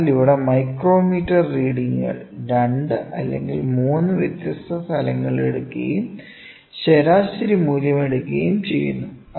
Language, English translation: Malayalam, So, here the micrometer is readings are taken at 2 or 3 different locations and the average value is taken